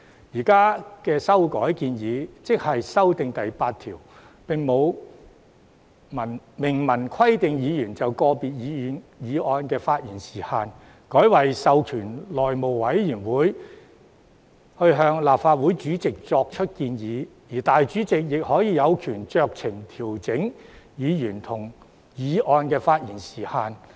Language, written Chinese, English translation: Cantonese, 現在的修訂建議——即修訂條文第8條——並沒有明文規定議員就個別議案的發言時限，改為授權內務委員會向立法會主席作出建議，而主席亦有權酌情調整議員及議案的發言時限。, The existing amendment proposal―in amendment clause 8―has not expressly provided for a time limit on Members speech on individual motions . Instead the House Committee is to be authorized to make recommendations to the President of the Legislative Council and the President may exercise discretion to adjust the speaking time limit for Members and motions